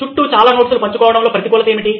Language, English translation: Telugu, What is the negative of sharing too many notes around